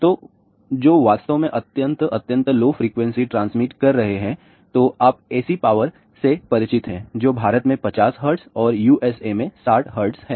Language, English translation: Hindi, So, which are really transmitting extremely extremely low frequency, then you are familiar with ac power which is 50 hertz in India and 60 hertz in USA